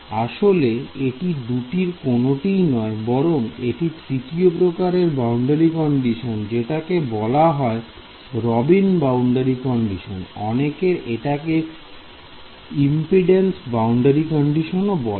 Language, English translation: Bengali, So in fact, this is neither of the two this is a third kind of boundary condition its called a Robin boundary condition some people call it a another set of people call it a impedance boundary condition and another set of people will call it a